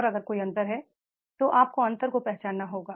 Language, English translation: Hindi, And if there is a difference, we have to identify the gap